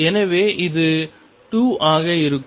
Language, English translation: Tamil, So, let me take example 2